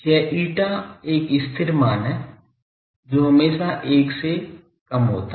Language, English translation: Hindi, This eta is a constant it is always less than 1